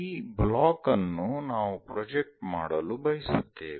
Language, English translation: Kannada, If this block, we will like to project it